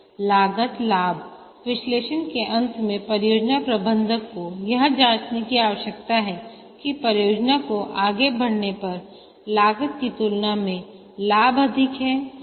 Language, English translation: Hindi, At the end of the cost benefit analysis, the project manager needs to check whether the benefits are greater than the costs for the project to proceed